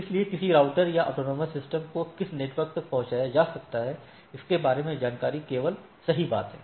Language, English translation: Hindi, So, information about which network can be reached by a given router or AS can to be crossed is the only thing right